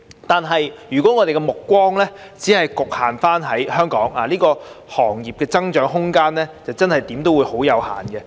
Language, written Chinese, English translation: Cantonese, 但是，如果我們的目光只局限於香港，這些行業的增長空間，無論如何總是有限。, Nevertheless if we limit our vision within the boundary of Hong Kong the room for development of these industries will be circumscribed